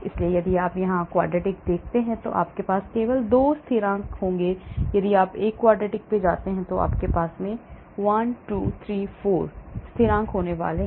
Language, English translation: Hindi, so if you look here a quadratic you will have only 2 constants, if you go to a quartic you are going to have 1, 2, 3, 4 constants